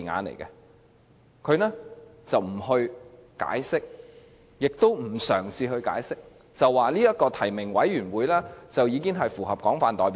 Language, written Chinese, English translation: Cantonese, 八三一方案既不解釋，也不嘗試解釋，只說提名委員會符合廣泛代表性。, Yet the 31 August package does not or has not attempted to offer any explanation but merely states that the nomination committee should be broadly representative